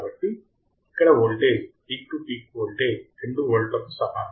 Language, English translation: Telugu, So, here the voltage is the peak to peak voltage and is equal to 2 volts right